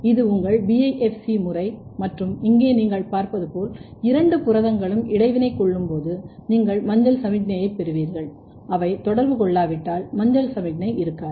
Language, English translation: Tamil, This is from the same study and this is your BiFC method and here you can see when these both the proteins are interacting you will have yellow signal if they are not interacting there will not be yellow signal